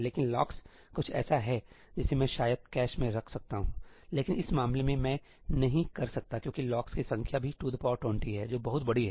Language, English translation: Hindi, But the locks is something that I could have kept in the cache, but in this case I cannot because the number of locks is also 2 to the power 20, which is huge